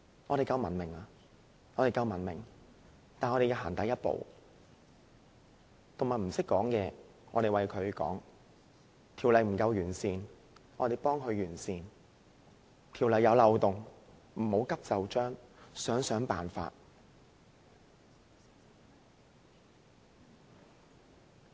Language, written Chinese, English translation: Cantonese, 我們屬文明社會，要踏出第一步，動物不懂得發聲，我們為牠們發聲；法例不夠完善，我們將它完善；法例出現漏洞，不要急就章，要想想辦法。, As members of a civilized society we must take the first step . Given that animals cannot speak we should speak for them . Noting that the legislation is imperfect we should perfect it